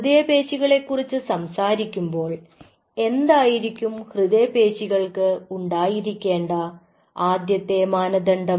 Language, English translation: Malayalam, again, talking about cardiac muscle, what is the first criteria of a cardiac muscle will be definitely whether the cells contract or not